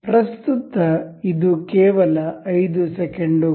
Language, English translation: Kannada, Currently, it is only 5 seconds